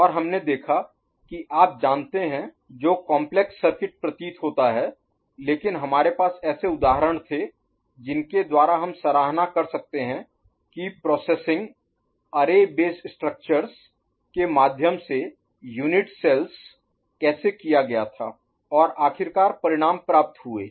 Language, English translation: Hindi, And we saw bit you know, seemingly complex circuit, but we had examples by which we could appreciate how the processing was done through the array based structures, in the unit cells, and finally the results were obtained, ok